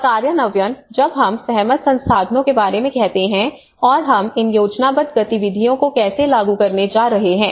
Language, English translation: Hindi, And implementation so when we say about the agreed resources and how we going to implement these planned activities